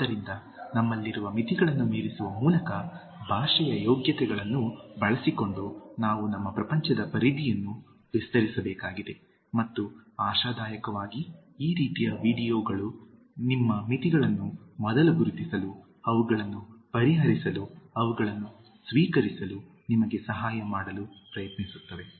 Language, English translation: Kannada, So, we need to enlarge the horizons of our world using the merits of language by overcoming the limitations which we have and hopefully these kinds of videos try to help you to identify your limitations first, address them, accept them